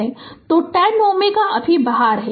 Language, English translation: Hindi, So, 10 ohm is out now